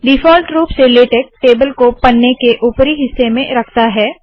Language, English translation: Hindi, By default, Latex places tables at the top of the page